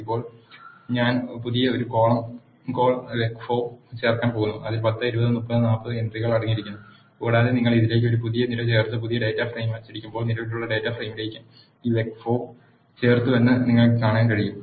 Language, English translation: Malayalam, Now I am going to add a new column call vec 4 which contains the entries 10 20 30 40 and when you add a new column to this and print the new data frame, you can see that this vec 4 is added to the existing data frame